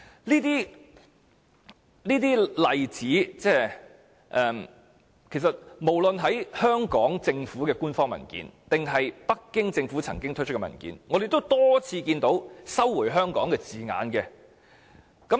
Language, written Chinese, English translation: Cantonese, 就上述的例子，無論是香港政府的官方文件，還是北京政府曾經發出的文件，我們也多次看到"收回香港"的字眼。, Regarding the above examples we often come across the sentence China recovered Hong Kong in formal papers of the SAR Government or documents issued by the Beijing Government